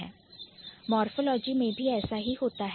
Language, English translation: Hindi, Something similar is also happening in morphology